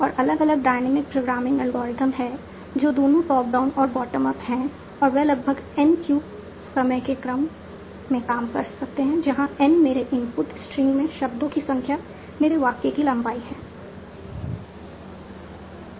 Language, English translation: Hindi, And there are different dynamic programming algorithms that are both top down, agile as bottom up, and they can work in roughly order of n cube time where n is the length of the sentence number of words in my input stream